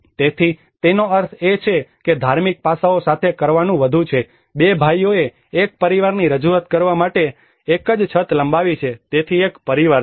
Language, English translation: Gujarati, So which means it is more to do with the religious aspects, two brothers have extended one single roof to represent a family belonging, so there is a family